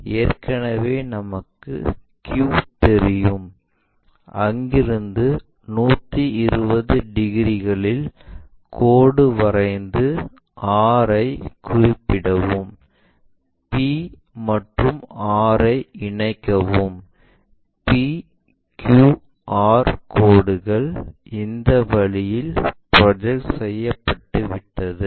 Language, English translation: Tamil, Already we know q from their 120 degrees angle we already knew, here construct to locate r, then join p and r p q r lines are projected in that way